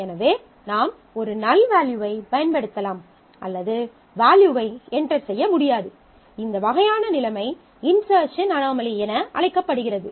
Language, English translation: Tamil, So, either we use a null value or we cannot actually enter this value; this kind of situation is known as an insertion anomaly